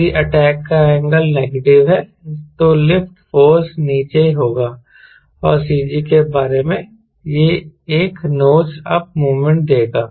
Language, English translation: Hindi, if negative angle of attack, then the lift force will be downward and about the cg it will give a nose up moment